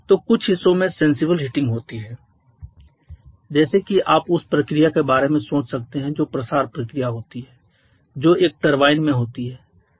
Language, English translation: Hindi, So there are sensible heating in certain parts like if you can think about the process that goes on expansion process that goes on in a turbine